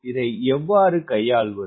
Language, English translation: Tamil, how to handle this